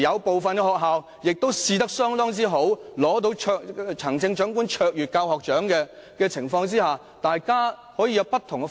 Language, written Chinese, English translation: Cantonese, 部分學校試驗成績相當好，甚至獲得行政長官卓越教學獎，為何我們不讓學校採用不同方式？, The pilot scheme has been very successful in some schools and they have even won the Chief Executives Award for Teaching Excellence; why do we not allow schools to adopt different teaching methods?